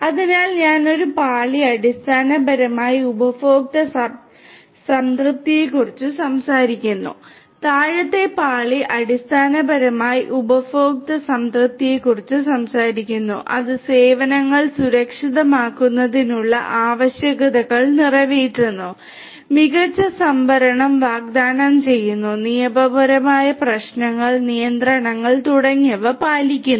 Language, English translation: Malayalam, So, there are different layers one layer basically talks about the customer satisfaction, the bottom layer basically talks about the customer satisfaction which caters to requirements of securing the services, offering smarter storage, complying with legal issues, regulations and so on